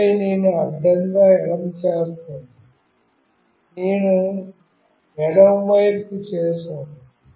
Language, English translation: Telugu, And then I will make horizontally left, I have done to the left side